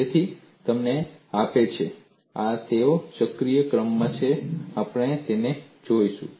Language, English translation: Gujarati, So, this gives you, they are in cyclical order, we will look at them